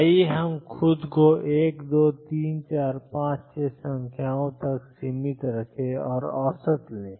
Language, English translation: Hindi, Let us restrict ourselves to 1 2 3 4 5 6 numbers and take the average